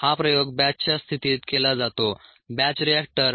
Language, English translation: Marathi, ok, this experiment is done in a batch situation batch reactor